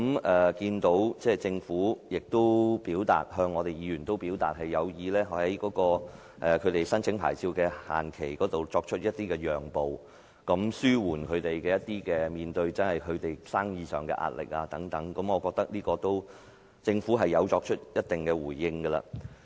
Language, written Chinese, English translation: Cantonese, 我看到政府向議員表示有意在申請牌照的限期方面作出讓步，以紓緩業界在生意上面對的壓力，我覺得政府已作出一定的回應。, Seeing the Government indicate to Members its intention to make a concession in respect of the deadline for licence application in order to relieve the pressure faced by the industry in business operation I think the Government has already made a considerable response